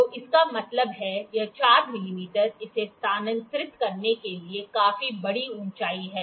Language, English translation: Hindi, So, that means, this 4 mm is quite a large height to quite a large to make it move